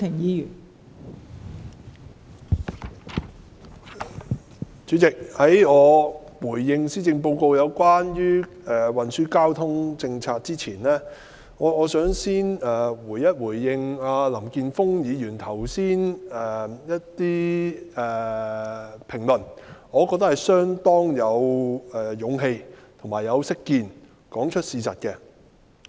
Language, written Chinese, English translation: Cantonese, 代理主席，在我回應施政報告有關運輸交通政策的部分之前，我想先回應林健鋒議員剛才的一些評論，我覺得他把事實說出來，是相當有勇氣及識見的。, Deputy President before I respond to the transport policies in the Policy Address I would like to first respond to some comments made by Mr Jeffrey LAM . I consider him quite courageous and insightful because he has told the truth